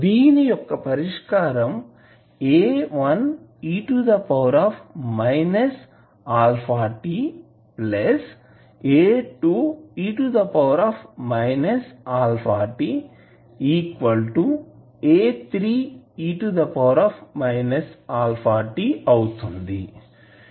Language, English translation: Telugu, What are those solutions